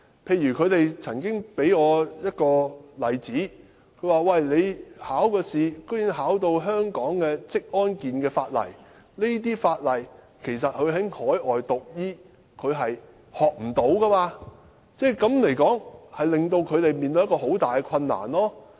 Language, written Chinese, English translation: Cantonese, 他們曾經給我一個例子，就是考試竟然要考香港的職安健法例，但他們在海外讀醫並不會讀到這些法例，這實在令他們面對很大的困難。, They have told me one example to illustrate their point . The examination covers questions related to legislation on occupational health and safety in Hong Kong . Since they studied medicine overseas they had not studied these laws and this posts a tall challenge to them